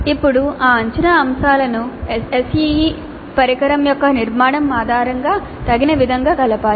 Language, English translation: Telugu, Now these assessment items must be combined suitably based on the structure of the SEE instrument